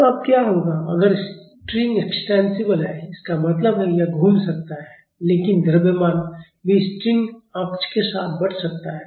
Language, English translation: Hindi, So, now, what if the string is extensible; that means, this can rotate, but also the mass can move along the string axis right